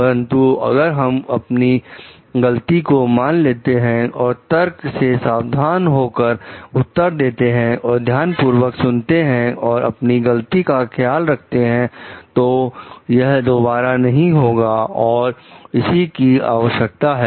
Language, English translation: Hindi, But if we like accept our mistake and we like answer pay heed to the arguments and listen to it carefully, try to take care of our mistakes; so that it does not get repeated in it; that is what is required